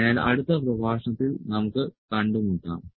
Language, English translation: Malayalam, So, we will meet in the next lecture